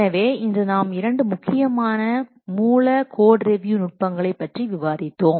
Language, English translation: Tamil, So today we have discussed two important source code review techniques